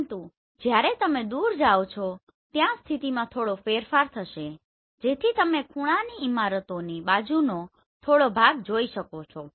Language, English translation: Gujarati, But as you go away there will be slight change in the position so you can see little bit of the sides of the corner buildings right